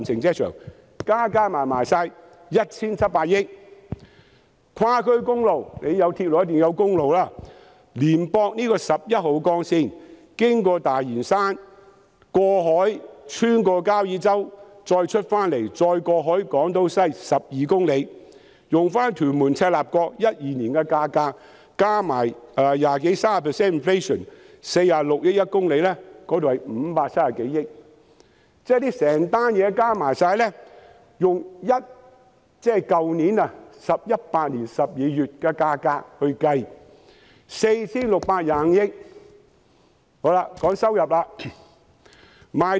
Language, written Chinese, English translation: Cantonese, 跨區公路方面，既然有鐵路，便一定也要有公路，接駁十一號幹線，經過大嶼山，過海穿過交椅洲，再連接港島西，全長12公里，按照屯門至赤鱲角連接路在2012年的價格，加上 20% 至 30% 的 inflation， 以每公里46億元計算，合共是530多億元。, Regarding the cross - district highway since there is a railway there certainly has got to be a highway connecting with Route 11 passing Lantau Island going through Kau Yi Chau across the sea and then linking with Island West . The total length is 12 km . If we base the calculation on the price of Tuen Mun - Chek Lap Kok Link in 2012 factoring in inflation of 20 % to 30 % with each kilometre costing 4.6 billion the total is some 53 billion